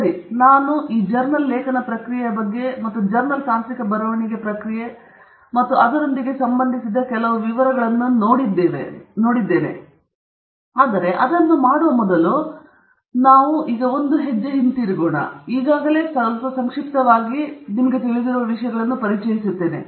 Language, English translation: Kannada, So now, one of the issues that we… okay so, we are now going to talk about this journal article process, and the journal technical writing process, and some of the details associated with it, but before we do that we will take a step back, and I will just, very briefly, introduce to you things that you already know